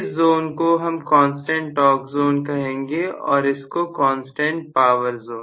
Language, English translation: Hindi, So, we call this zone as constant torque zone